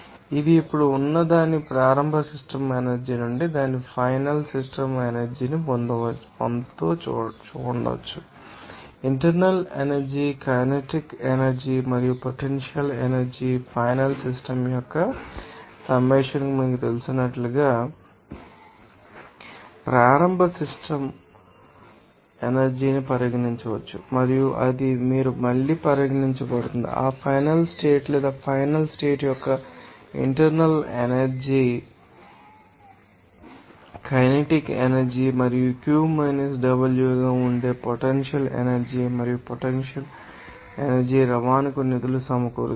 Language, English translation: Telugu, It may be gaining its final system energy from its initial system energy they are now, initial system energy can be regarded as you know that a summation of internal energy, kinetic energy and potential energy final system and it will be regarded as that you again that internal energy of that final state or final condition, kinetic energy and funded into potential energy and net energy transport that will be Q W